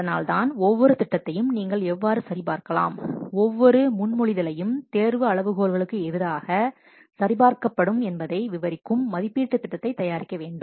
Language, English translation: Tamil, So that is why it is needed to produce an evaluation plan describing how each proposal you can check how each proposal will be checked against the selection criteria